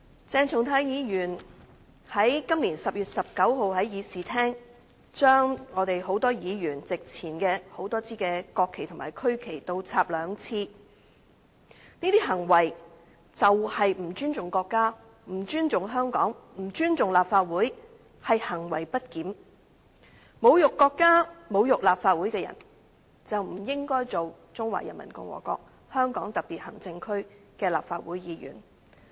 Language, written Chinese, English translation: Cantonese, 鄭松泰議員在今年10月19日，在議事廳將多位議員席前的多枝國旗和區旗倒插兩次，這些行為就是不尊重國家、不尊重香港、不尊重立法會，是行為不檢；侮辱國家、侮辱立法會的人，就不應該擔任中華人民共和國香港特別行政區的立法會議員。, On 19 October this year Dr CHENG Chung - tai twice inverted a number of national flags and regional flags placed on the desks of a number of Members in this Chamber . Such behaviour precisely amounted to disrespect for the country disrespect for Hong Kong disrespect for the Legislative Council and misbehaviour . One who insults the country and the Legislative Council should not hold the office of a Member of the Legislative Council of the Hong Kong Special Administrative Region of the Peoples Republic of China